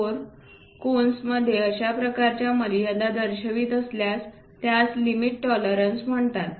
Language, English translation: Marathi, 4 such kind of limits if we are showing that is called limit tolerances